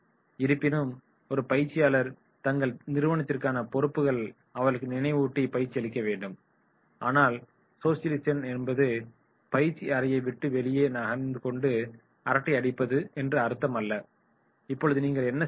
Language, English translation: Tamil, However, a trainer must remind them of their responsibilities towards their organisation and training them, but it does not mean that socialisation means leaving the classroom and doing chitchatting outside the classroom, no what you are supposed to do